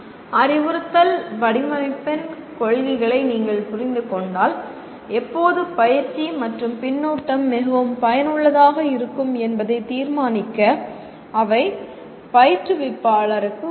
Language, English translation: Tamil, This if you understand the principles of instructional design, they would help instructor to decide when practice and feedback will be most effective